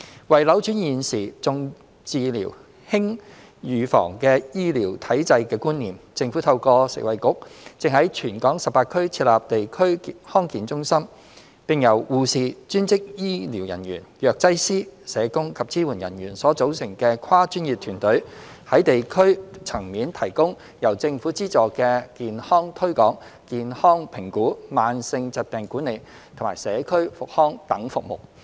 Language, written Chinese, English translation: Cantonese, 為扭轉現時"重治療，輕預防"的醫療體制和觀念，政府透過食衞局正在全港18區設立地區康健中心，並由護士、專職醫療人員、藥劑師、社工及支援人員所組成的跨專業團隊，在地區層面提供由政府資助的健康推廣、健康評估、慢性疾病管理及社區復康等服務。, In a bid to shift the emphasis of the present healthcare system and mindset from treatment - oriented to prevention - focused the Government through FHB is setting up District Health Centres DHCs in all 18 districts across the territory . A multidisciplinary team comprising nurses allied health professionals pharmacists social workers and supporting staff provides government - funded services including health promotion health assessment chronic disease management and community rehabilitation at district level